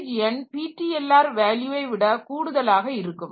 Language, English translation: Tamil, So, page number will be more than the PTLR value